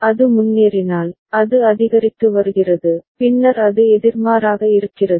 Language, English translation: Tamil, Then if it is advancing, it is increasing, then it is up counter